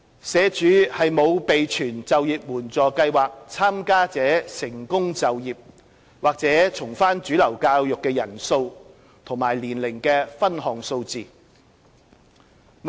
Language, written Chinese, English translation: Cantonese, 社署沒有備存就業援助計劃參加者成功就業或重返主流教育的人數及年齡的分項數字。, SWD does not keep the number and age profile of IEAPS participants who had successfully secured employment or returned to mainstream schooling